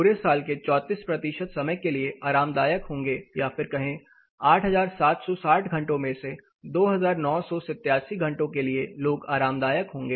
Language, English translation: Hindi, 34 percent of the year duration they will be comfortable that is around 2987 hours out of 8760 hours people are going to be comfortable in this particular building